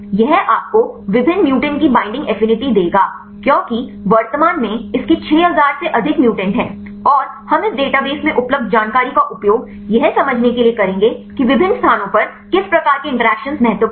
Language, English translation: Hindi, This will give you the binding affinity of different mutants because currently it has more than 6000 mutants and we will use this information available in the database to understand which type of interactions are important at different locations